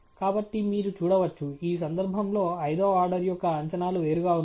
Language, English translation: Telugu, So, you can see, that in this case the predictions of the fifth order has gone apart